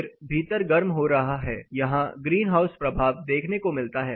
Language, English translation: Hindi, Then indoor is getting heated up find a green house effect